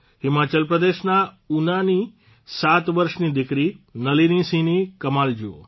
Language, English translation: Gujarati, Look at the wonder of Nalini Singh, a 7yearold daughter from Una, Himachal Pradesh